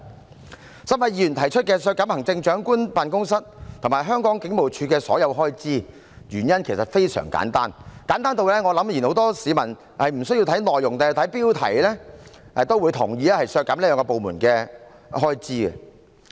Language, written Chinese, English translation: Cantonese, 該3位議員提出削減特首辦及香港警務處的所有開支，原因其實非常簡單，簡單至我想很多市民無需看內容，只看標題也會同意要削減這兩個部門的開支。, The reason for the three Members to propose cutting all the expenditures of the Chief Executives Office and HKPF is actually very simple . It is so simple that I think many members of the public will agree to cut the expenditures of these two departments after only looking at the headings without the need to read the contents